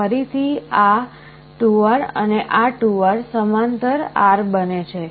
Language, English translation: Gujarati, Again this 2R and this 2R in parallel becomes R